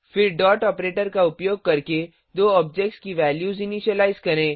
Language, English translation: Hindi, Then initialize the values of the two objects using dot operator